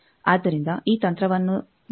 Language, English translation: Kannada, So, this strategy we will follow